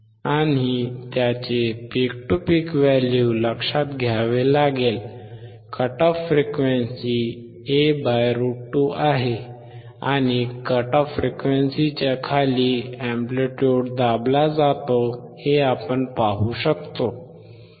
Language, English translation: Marathi, And note down it is peak to peak value, we can observe that at a frequency cut off (A / √2), and below the cut off amplitude is suppressed